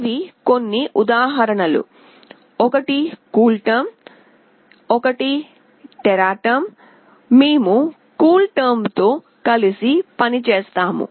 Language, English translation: Telugu, These are some example, one is CoolTerm, one is TeraTerm, we will be working with CoolTerm